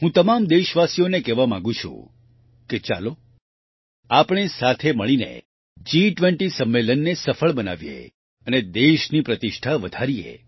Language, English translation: Gujarati, I urge all countrymen to come together to make the G20 summit successful and bring glory to the country